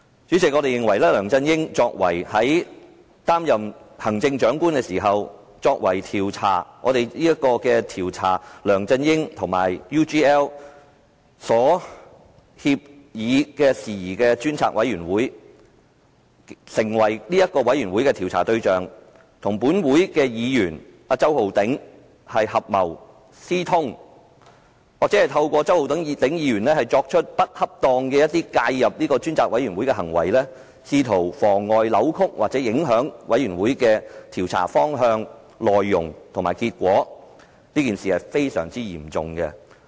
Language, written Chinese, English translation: Cantonese, 主席，我們認為梁振英在擔任行政長官期間，作為"調查梁振英先生與澳洲企業 UGL Limited 所訂協議的事宜專責委員會"的被調查對象，與周浩鼎議員合謀私通，或透過周浩鼎議員作出不恰當地介入專責委員會工作的行為，試圖妨礙、扭曲或影響專責委員會的調查方向、內容及結果，是一件非常嚴重的事。, President when LEUNG Chun - ying serves as the Chief Executive he is the subject of inquiry of the Select Committee to Inquire into Matters about the Agreement between Mr LEUNG Chun - ying and the Australian firm UGL Limited but he conspired with andor worked through Mr Holden CHOW to improperly interfered with the work of the Select Committee in an attempt to frustrate deflect or affect the direction course and result of the inquiry to be carried out by the Select Committee . This is a very serious matter